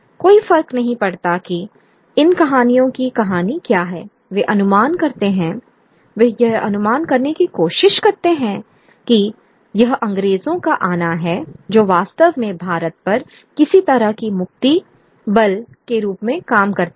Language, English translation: Hindi, No matter what the story of these stories are it they project, they try to project that it is the coming of the British that actually works as some kind of a liberatory force on India